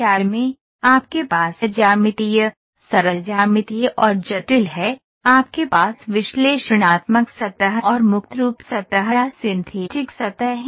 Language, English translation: Hindi, CAD, you have geometric, simple geometric and complex, you have analytical surface and free form surface or synthetic surfaces